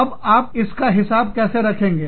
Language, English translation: Hindi, So, how do you, account for that